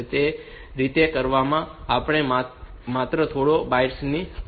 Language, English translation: Gujarati, So, that way that is we have got only a few bytes for doing that